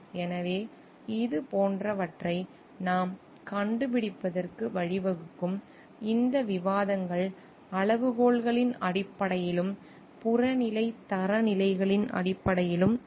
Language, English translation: Tamil, So, what we find like this will lead to, this discussions will be based on the criteria and which is based on objective standards